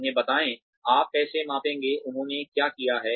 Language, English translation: Hindi, Tell them, how you are going to measure, their performance